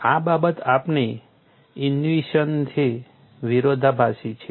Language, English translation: Gujarati, This is contradictory to our intuition